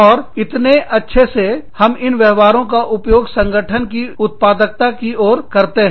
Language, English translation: Hindi, And, how well, we use these behaviors, towards the productivity of the organization